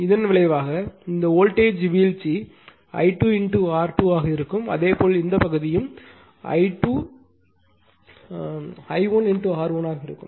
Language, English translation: Tamil, And resultant will be this voltage drop will be I 2 into Z 2 similarly here also this part will be I 2 I 1 into Z 1